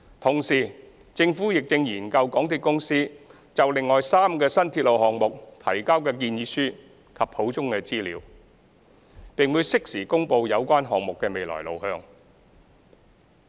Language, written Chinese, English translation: Cantonese, 同時，政府亦正研究港鐵公司就另外3個新鐵路項目提交的建議書及補充資料，並會適時公布有關項目的未來路向。, Meanwhile the Government is studying the proposals and supplementary information provided by MTRCL on three other new railway projects and will announce the way forward for these projects in due course